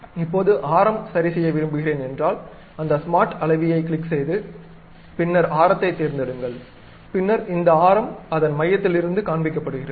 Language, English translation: Tamil, Now, I would like to adjust radius of that click smart dimension then pick that, then it shows the center from where this radius is present